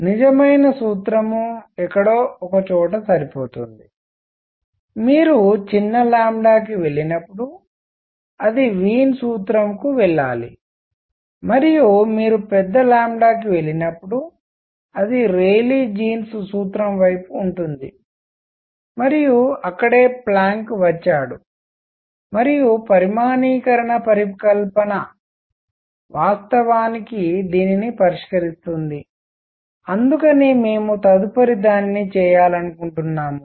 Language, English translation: Telugu, The true formula is somewhere in between that should match everywhere it should go to Wien’s formula when you go to small lambda and it is toward to Rayleigh jeans formula when you go to large lambda and that is where Planck came in and quantization hypothesis actually resolve this and that is what we want to do next